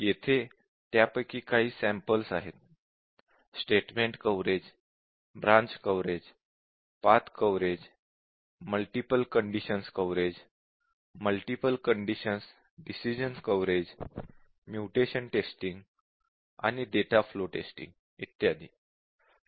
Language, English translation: Marathi, This is just a sample of this statement coverage, branch coverage, path coverage, multiple condition coverage, multiple condition decision coverage, mutation testing, and data flow testing, and so on